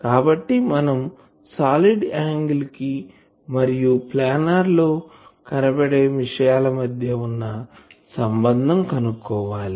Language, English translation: Telugu, So, we need to have a relation between the solid angle and our planar visualisation thing